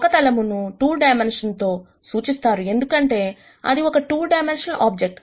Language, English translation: Telugu, A plane has to be represented by 2 dimensions, because it is a 2 dimensional object